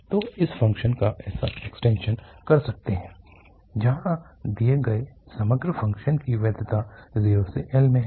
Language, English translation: Hindi, So, we can do such extensions of the function the validity of overall given function is there in 0 to L